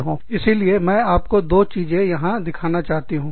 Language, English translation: Hindi, So again, let me show you, the couple of things, here